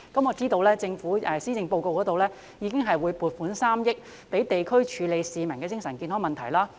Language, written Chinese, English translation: Cantonese, 我知道政府已在施政報告中表示會撥款3億元予地區，處理市民的精神健康問題。, I know the Government has already stated in the Policy Address that it will allocate 300 million to the districts to deal with mental health issues of the public